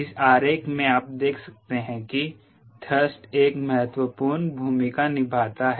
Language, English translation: Hindi, in this diagram you could see the thrust plays an important rule